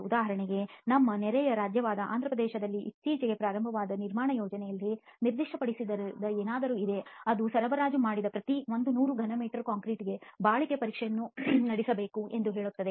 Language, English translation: Kannada, For example in one of the construction projects that has recently started in our neighbouring state of Andhra Pradesh, there is something in the specification which says that the durability test should be carried out for every 100 cubic meters of concrete supplied